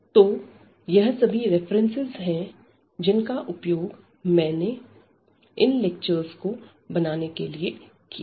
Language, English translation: Hindi, So, here these are the references we have used to prepare these lectures and